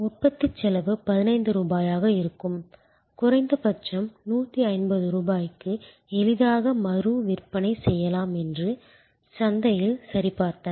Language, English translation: Tamil, The production cost will be 15 rupees and they did check with the market that it can easily be resold at least and 150 rupees